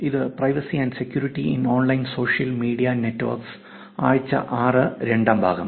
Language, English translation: Malayalam, This is Privacy and Security in Online Social Media, week 6 the second part